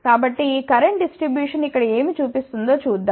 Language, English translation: Telugu, So, let us see what this current distribution shows over here